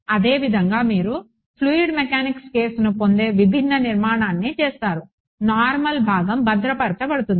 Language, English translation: Telugu, Similarly you do a different construction you get the fluid mechanics case, the normal component is conserved